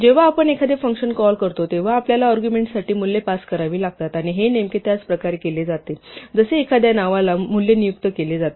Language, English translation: Marathi, When we call a function we have to pass values for the arguments, and this is actually done exactly the same way as assigning that value to a name